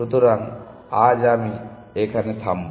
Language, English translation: Bengali, So, I will stop here